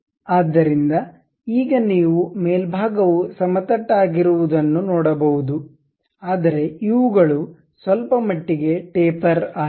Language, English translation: Kannada, So, now you can see the top side is flat one, but these ones are slightly tapered